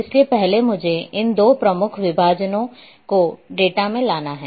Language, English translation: Hindi, So, first what I am going to do is just to bring these two major divisions in the data